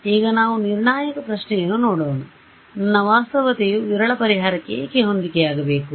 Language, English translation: Kannada, Now let us look at the critical question, why should I why should my reality correspond to a sparse solution